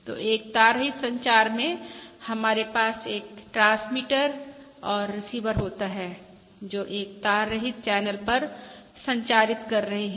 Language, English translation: Hindi, So in a wireless communication we have a transmitter and receiver which are communicating over a wireless channel